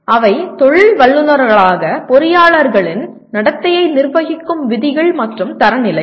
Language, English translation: Tamil, They are rules and standards governing the conduct of engineers in their role as professionals